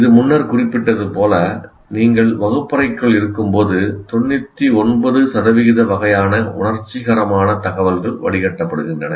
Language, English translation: Tamil, As I said, when you are inside the classroom, something like 99% of the kind of sensory information that comes keeps getting filtered